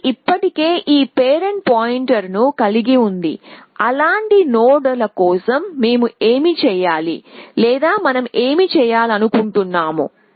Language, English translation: Telugu, So, they already had this parent pointer, what do we do for such nods, or what do we want to do